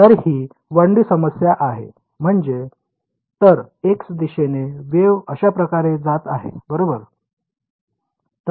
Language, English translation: Marathi, So, this is the 1D problem; that means, the wave is going like this along the x direction right